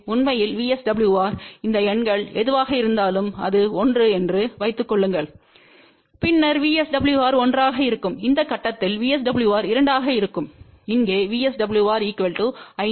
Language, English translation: Tamil, In fact, VSWR whatever are these numbers here, so suppose it is 1, then the VSWR will be 1, at this point VSWR will be 2 ; over here, VSWR equal to 5